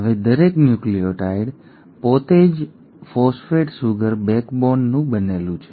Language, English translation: Gujarati, Now each nucleotide itself is made up of a phosphate sugar backbone